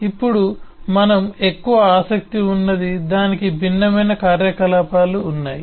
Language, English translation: Telugu, but what we have more interested now is a fact that it has different operations